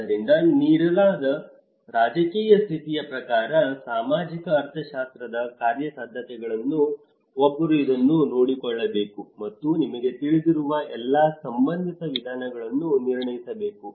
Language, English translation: Kannada, So, as per the given political condition, given social economics feasibilities one has to take care of this and assess the all relevant methods you know where the possibilities